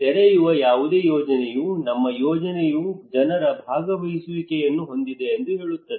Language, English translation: Kannada, Any project you open they would say that our project is participatory